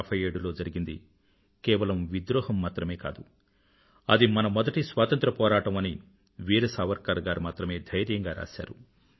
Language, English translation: Telugu, It was Veer Savarkar who boldly expostulated by writing that whatever happened in 1857 was not a revolt but was indeed the First War of Independence